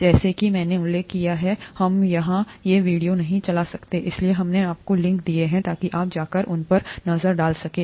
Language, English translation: Hindi, As I mentioned, we cannot play these videos here, therefore we have given you the links so that you can go and take a look at them